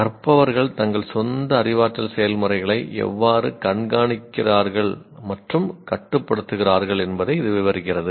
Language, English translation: Tamil, This, it describes how learners monitor and control their own cognitive processes